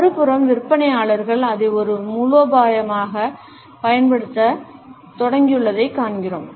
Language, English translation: Tamil, On the other hand, we find that salespeople have started to use it as a strategy